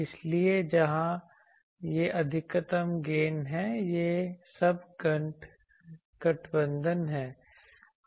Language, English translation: Hindi, So, where this is the maximum gain, so this is all aligned